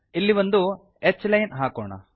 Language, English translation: Kannada, Lets put a h line here